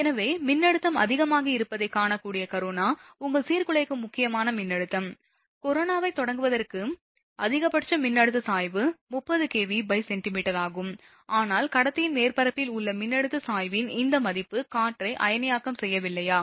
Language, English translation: Tamil, So, the corona which will be visible that voltage is greater than, the your disruptive critical voltage, for starting of corona maximum value of voltage gradient is 30 kilovolt per centimetre, but this value of the voltage gradient at the surface of the conductor, will not ionize the air right